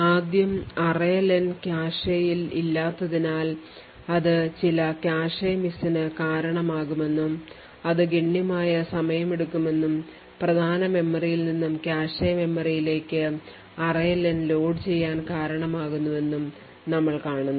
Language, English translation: Malayalam, so first we would see that since array len is not in the cache it would cause some cache miss which would take constable amount of time and of course array len to be loaded from the main memory and to the cache memory